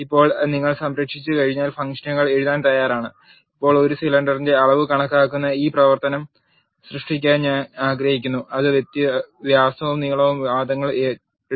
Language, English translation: Malayalam, Now, once you save you are ready to write functions, now I want to create a function which calculates the volume of a cylinder which takes in the arguments the diameter and length